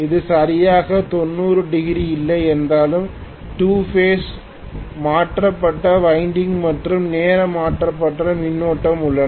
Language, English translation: Tamil, Although it is not exactly 90 degrees still there are 2 phase shifted winding and time shifted current